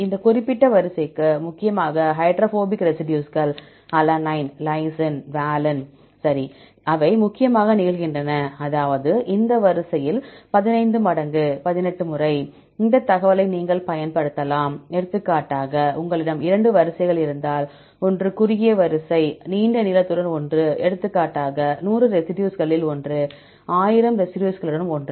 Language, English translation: Tamil, For this particular sequence, for mainly the hydrophobic residues, alanine, lysine, valine right, they occur predominantly, that’s 15 times, 18 times in this sequence, right you can use this information; for example, if you have 2 sequences, one is the short sequence, one with the long length; for example, one with the 100 residues one with 1,000 residues